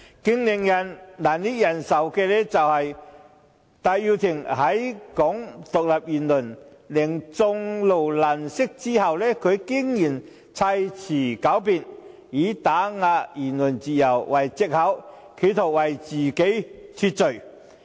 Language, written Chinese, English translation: Cantonese, 最令人難以忍受的是，戴耀廷在其"港獨"言論令眾怒難息後，他竟然砌詞狡辯，以"打壓言論自由"為藉口，企圖為自己脫罪。, The most unbearable point is that after his Hong Kong independence remark had enraged the public Benny TAI resorted to sophistry and made up the excuse of attacks on freedom of speech in an attempt to absolve himself of his own guilt